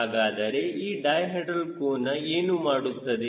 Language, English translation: Kannada, so what is the di hedral angle